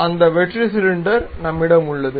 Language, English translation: Tamil, So, we have that hollow cylinder